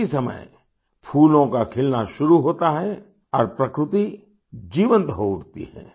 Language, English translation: Hindi, At this very time, flowers start blooming and nature comes alive